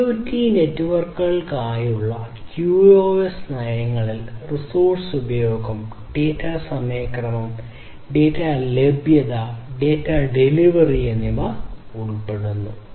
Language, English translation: Malayalam, QoS policies for IoT networks includes resource utilization, data timeliness, data availability, and data delivery